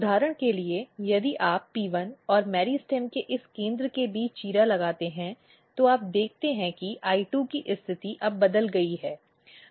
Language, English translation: Hindi, For example, if you make incision between P1 and this center of a meristem what you see that the positioning of I2 is now changed